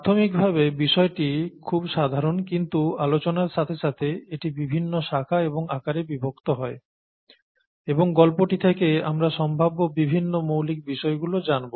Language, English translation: Bengali, The story is rather simple in its inception but it goes on and it takes various branches, various forms, and we will probably learn some fundamental aspects from the story, various fundamental aspects